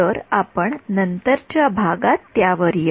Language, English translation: Marathi, So, we will come to that in subsequent